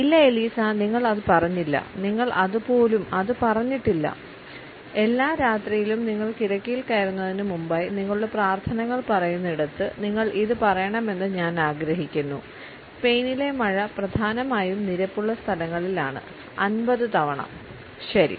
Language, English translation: Malayalam, No Eliza you did not say that you did not even say that the ever night before you get in the bed where you use to say your prayers, I want you to say the rain in Spain stays mainly in the plane 50 times ok